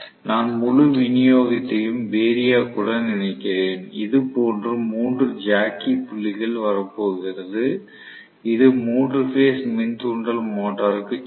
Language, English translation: Tamil, So, I am connecting the full supply to the variac and I am going to have 3 jockey points coming out like this which will go to the 3 phase induction motor right